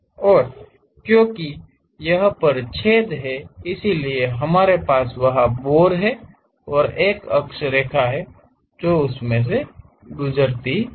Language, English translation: Hindi, And, because this is the hole, we have that bore there and there is a axis line which pass through that